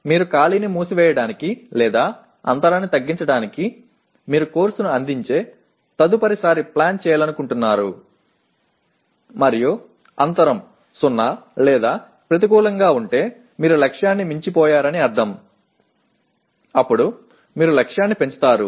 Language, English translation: Telugu, You want to plan next time you offer the course to close the gap or reduce the gap and if the gap is 0 or negative that means you have exceeded the target then you raise the target